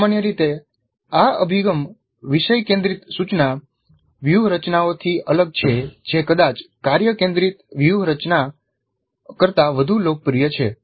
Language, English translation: Gujarati, This is different in general, this approach is different from topic centered instructional strategies which is probably more popular than task centered strategy